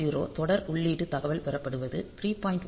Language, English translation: Tamil, 0 is received serial input data, 3